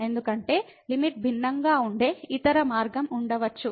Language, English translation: Telugu, Because there may be some other path where the limit may be different